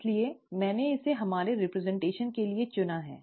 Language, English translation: Hindi, So I have chosen this for our representation